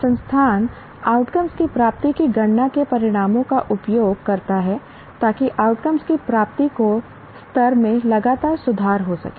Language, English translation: Hindi, And the institution uses the results of calculating the attainment of outcomes to continuously improve the levels of attainment of outcomes